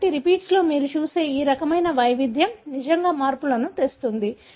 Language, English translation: Telugu, So, this is, this kind of variation that you see in the repeats, really brings in the changes